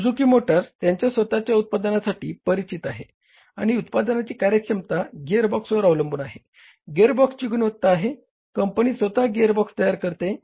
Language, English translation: Marathi, Suzuki motor is known for their own product and the efficiency of the product depends upon the gearbox, quality of the gearbox